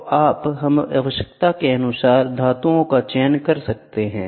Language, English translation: Hindi, So, you can choose metals to the requirement